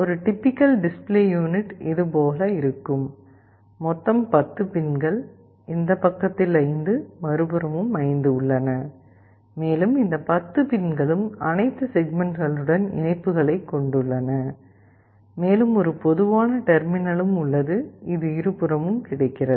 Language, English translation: Tamil, A typical display unit looks like this; there are 10 pins, 5 on this side, 5 on the other side, and these 10 pins have connections to all the individual segments and also there is a common terminal, which is available on both the sides